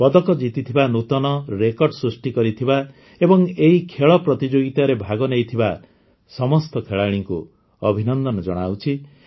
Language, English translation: Odia, I congratulate all the players, who won medals, made new records, participated in this sports competition